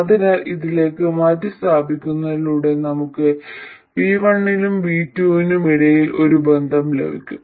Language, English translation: Malayalam, So by substituting this into that one, we will get a relationship between V1 and V2